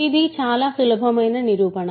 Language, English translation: Telugu, So, this is a very easy proof